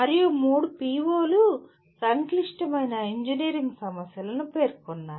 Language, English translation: Telugu, And three POs mention complex engineering problems